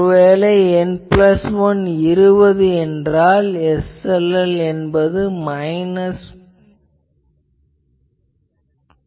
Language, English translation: Tamil, N plus 1 is equal to 20, SLL is minus 13 dB